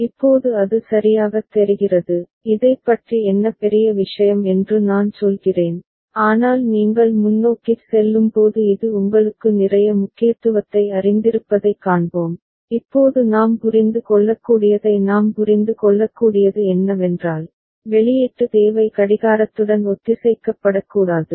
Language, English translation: Tamil, Now it looks ok, I mean what is a big deal about it, but when you go forward we shall see that this has got you know lot of significance, right now what we can understand what we can understand is that, the output need will not be synchronized with the clock ok